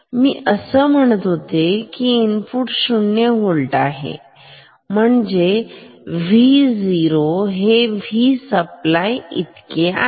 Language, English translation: Marathi, Now if input is 0 volt, then V P will be positive this is positive